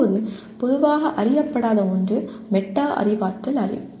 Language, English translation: Tamil, Now come something not very commonly known is Metacognitive Knowledge